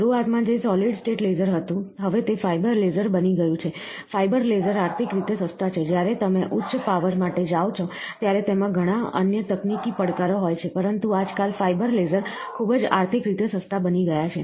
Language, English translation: Gujarati, Initially which was a solid state laser, now it has become a fibre laser, fibre laser are economical of course, when you go for higher powers it has lot of other technical challenges, but nowadays the fibre lasers are becoming very economical